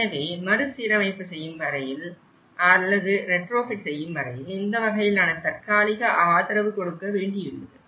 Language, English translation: Tamil, So, that you need to give a kind of temporary support until the restoration is done or retrofitting is done